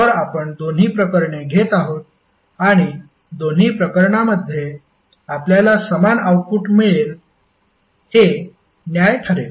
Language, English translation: Marathi, So we are taking both of the cases and we will justify that in both of the cases we will get the same output